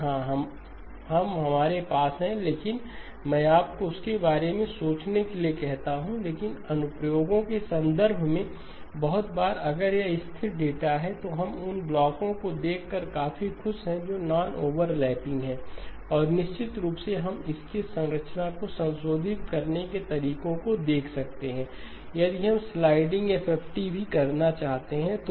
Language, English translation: Hindi, Yes we do, but let me ask you to think about that, but in terms of applications very often if it is stationary data then we are quite happy to look at blocks which are non overlapping, and of course we can look at ways of modifying the structure if we want to do the sliding FFT as well